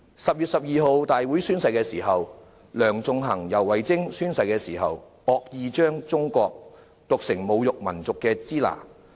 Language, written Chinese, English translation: Cantonese, 10月12日立法會會議上宣誓期間，梁頌恆及游蕙禎惡意將"中國"讀成侮辱民族的"支那"。, During their oath - taking at the Legislative Council meeting on 12 October Sixtus LEUNG and YAU Wai - ching maliciously pronounced China as the derogatory Shina